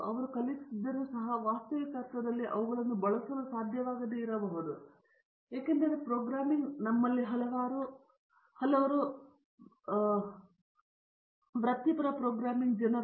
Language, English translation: Kannada, Even if they have learnt they may not be able to use them in the actual sense because the programming is a bugback of many of us because we are not professional programming people